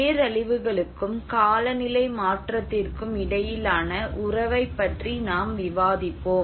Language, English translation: Tamil, And we see about the relationship between disasters and climate change